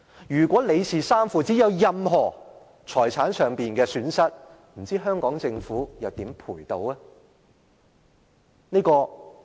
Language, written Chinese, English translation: Cantonese, 如果李氏三父子有任何財產上的損失，不知道香港政府又如何賠償呢？, If any property loss is caused to the father and sons of the LIs family how would the Government make compensation to them?